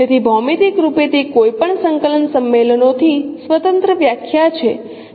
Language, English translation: Gujarati, So geometrically that is the definition independent of any coordinate convention